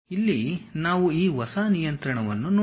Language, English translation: Kannada, Here we can see this New control